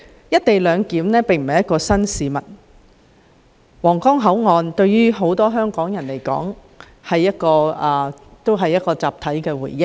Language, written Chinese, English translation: Cantonese, "一地兩檢"並非新事物，皇崗口岸對於很多香港人來說也可算是一個集體回憶。, While co - location arrangement is not something new it can be said that the Huanggang Port forms part of the collective memory of many people in Hong Kong